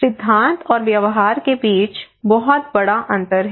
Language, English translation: Hindi, So there is a huge gap between theory and practice okay